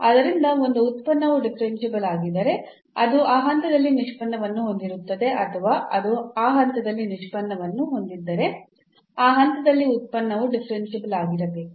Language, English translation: Kannada, So, if a function is differentiable then it will have derivative at that point or it if it has a derivative at that point then the function must be differentiable at that point